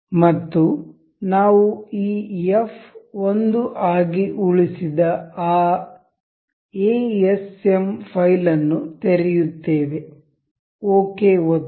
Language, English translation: Kannada, And we will open that asm file that we just saved this f 1 we will click ok